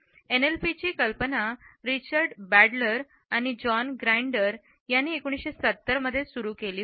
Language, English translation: Marathi, The idea of NLP was started in 1970s by Richard Bandler and John Grinder